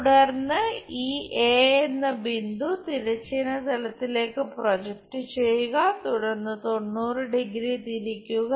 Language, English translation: Malayalam, Then, project this point A on to horizontal plane, then rotate it by 90 degree